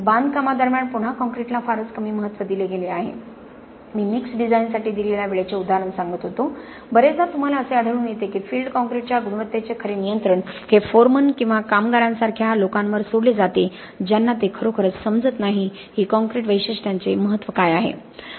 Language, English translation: Marathi, Again concrete has given very little importance during construction I was telling the example of the time allocated for mix design, very often you find that the real control of concrete quality the field is also left to people like foremen or workers who really do not understand what the significance of the concrete characteristics are